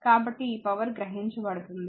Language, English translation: Telugu, So, this power absorbed